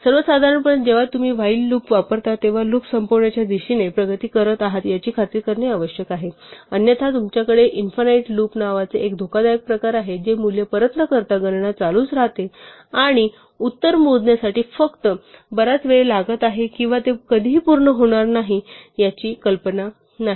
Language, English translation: Marathi, So in general when you use a while loop you must make sure that you are making progress towards terminating the loop otherwise you have a dangerous kind of behavior called an infinite loop where the computation just keeps going on and on without returning a value and you have no idea whether it is just taking a very long time to compute the answer or whether it is never going to finish